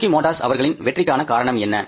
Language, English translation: Tamil, What is the reason for the success of the Suzuki motors